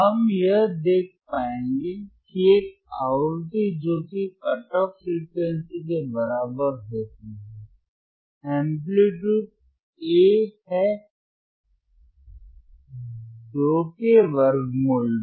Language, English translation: Hindi, wWe will be able to see that a frequency that is equal to cut off frequency, amplitude is about A by square root of 2, A by square root of 2